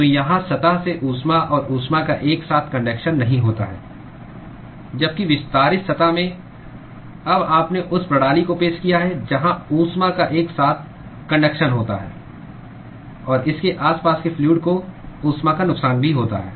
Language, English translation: Hindi, So, here there is no simultaneous conduction of heat and heat loss from the surface, while in the extended surface you have now introduced the system where there is simultaneous conduction of heat and also loss of heat to the fluid which is surrounding it